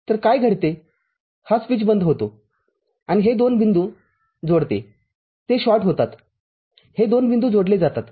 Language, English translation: Marathi, So, what happens this switch closes and connects these 2 points, are getting shorted these 2 points get connected